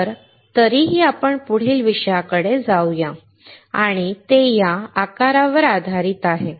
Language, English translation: Marathi, So, anyway let us let us go to the next topic and that is based on this size